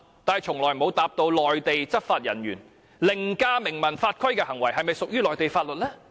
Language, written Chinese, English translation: Cantonese, 但是，從來沒有回答我們，對於內地執法人員凌駕明文法規的行為，是否屬於內地法律？, However they have never told us if any act above written laws performed by a Mainland law enforcement agent is under the jurisdiction of Mainland laws